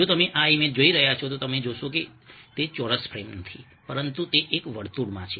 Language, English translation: Gujarati, if you are looking at, ah, this image, you find that ah, ah, it is not a square frame, but ah, within a circle